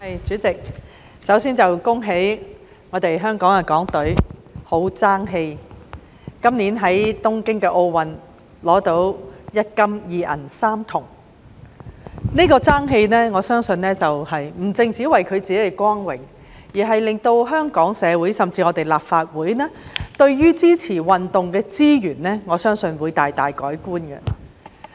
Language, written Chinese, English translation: Cantonese, 代理主席，首先要恭喜港隊十分爭氣，今年在東京奧運取得一金、二銀、三銅，我相信這份爭氣不只是為了他們自己的光榮，亦令香港社會甚至立法會對支持運動的資源大大改觀。, Deputy President first of all I would like to congratulate the Hong Kong China delegation for achieving distinguished results in the Tokyo Olympics this year winning one gold two silver and three bronze medals . I believe the athletes have not only brought glory to themselves but have also provided Hong Kong society and even the Legislative Council great insights into the allocation of resources for supporting sports